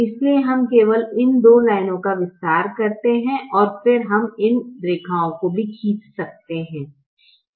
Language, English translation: Hindi, so we just extend these two lines and then we can draw these lines as well